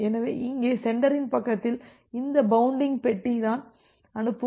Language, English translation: Tamil, So, here in the sender side so, this bounding box is the sending window